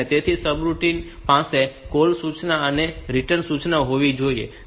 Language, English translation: Gujarati, So, the subroutine should have a call instruction and a